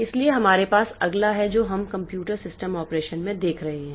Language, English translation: Hindi, So, we have next we will be looking into the computer system operation